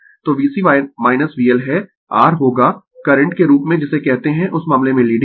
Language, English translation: Hindi, So, V C minus V L is will be your what you call in that case as current is leading